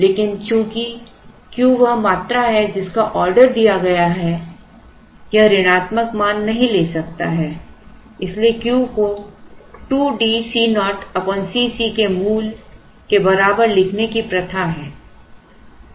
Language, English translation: Hindi, But, since Q is the quantity that is ordered it cannot take a negative value, therefore it is customary to write Q equal to root of 2 D C naught by C c